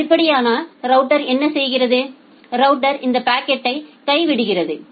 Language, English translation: Tamil, If that is the case then what the router does, the router simply drop this packet